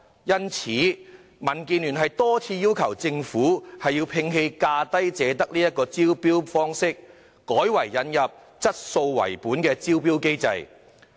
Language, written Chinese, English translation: Cantonese, 因此，民建聯多次要求政府摒棄"價低者得"的招標方式，改為引入以質素為本的招標機制。, For this reason the Democratic Alliance for the Betterment and Progress of Hong Kong has repeatedly requested the Government to abandon the tendering approach of lowest bid wins and instead introduce a quality - oriented tendering mechanism